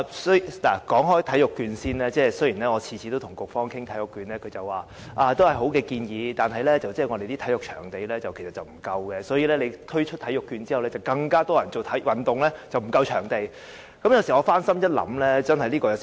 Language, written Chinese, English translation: Cantonese, 先說體育券，雖然我每次跟局方談起體育券，局方都說是好建議，但卻又指香港的體育場地不足，如果推出體育券，便有更多人做運動，那麼，場地便會更為不足。, So let me start with sports vouchers . Whenever I talk about sports vouchers the Bureau always replies that the idea of sports vouchers is good . The Bureau also states that the shortage of sports venues in Hong Kong will be exacerbated if sports vouchers are launched as more people will do sports then